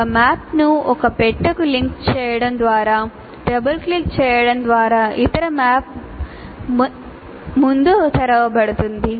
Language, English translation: Telugu, You can by linking one map to the one box, by double clicking the other map will open up in front